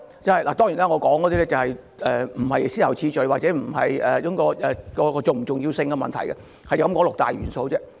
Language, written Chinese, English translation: Cantonese, 這些元素並非以先後次序或按其重要性排列，我只是提出有六大元素。, I am presenting these elements not according to their priorities or importance . I only wish to point out that there are six major elements